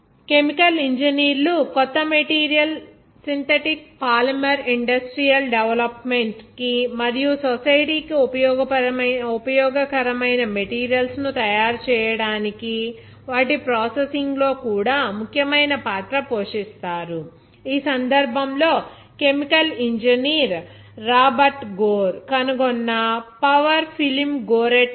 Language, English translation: Telugu, Chemical engineers also play a significant role in deriving the synthetic polymer industry development of new materials and their processing to make useful objects for the society, in this case, Gore Tex to the power film which was invented by chemical engineer Robert Gore